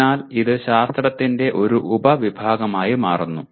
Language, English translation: Malayalam, So it becomes a subset of science